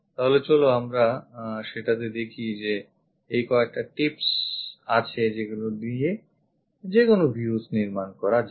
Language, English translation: Bengali, So, let us look at that these are the few tips to construct any views